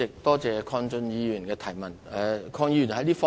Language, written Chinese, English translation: Cantonese, 多謝鄺俊宇議員的補充質詢。, I thank Mr KWONG Chun - yu for his supplementary question